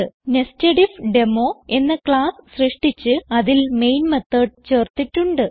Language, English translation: Malayalam, We have created a class NesedIfDemo and added the main method to it